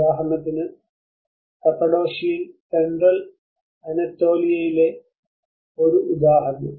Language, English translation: Malayalam, For instance, in Cappadocia an example in the Central Anatolia